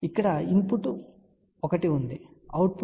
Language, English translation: Telugu, So, here is a input 1, there is a output 2 3 4